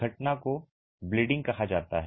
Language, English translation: Hindi, The phenomenon is called bleeding